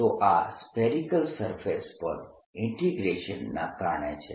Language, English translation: Gujarati, so this is because this a the integration over this spherical surface